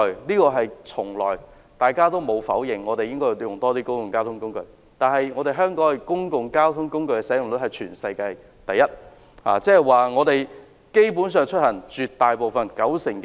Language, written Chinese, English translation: Cantonese, 我們從來不否認，市民應較多使用交通工具，而香港公共交通工具的使用率是全球第一，即九成多香港市民出行使用公共交通工具。, We have never denied the different modes of transport by the public . In fact the 90 % usage rate of public transport in Hong Kong is the highest in the world